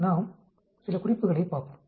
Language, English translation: Tamil, Let us look at some points